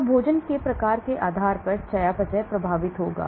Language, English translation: Hindi, So the metabolism will get affected depending upon the type of food